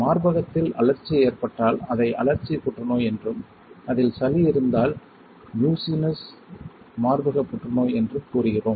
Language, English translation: Tamil, If there is inflammation in the breast which we call inflammatory cancer and if there is a mucus in there then we say Mucinous breast cancer